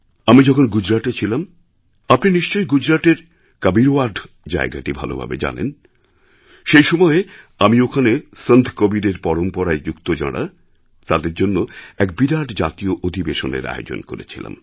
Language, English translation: Bengali, I am sure you know about Kabirwad in Gujarat when I used to work there, I had organized a National session of people belonging to the tradition of saint Kabir